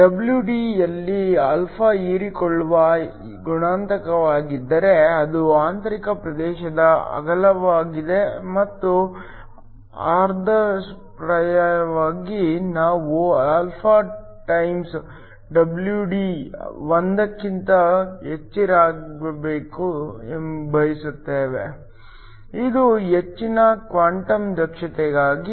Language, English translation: Kannada, If alpha is the absorption coefficient in WD, is the width of the intrinsic region and ideally we want alpha times WD to be much greater then 1, this is for high quantum efficiency